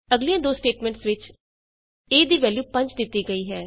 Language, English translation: Punjabi, In the next two statements, a is assigned the value of 5